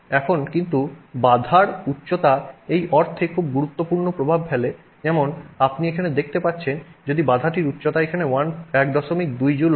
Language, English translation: Bengali, Now, but the height of the barrier makes it very important impact in the sense that you can see here if this if you if the height of the barrier is such that it is 1